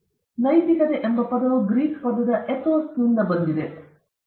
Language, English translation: Kannada, So, ethics the term ethics is derived from the Greek word ethos which means character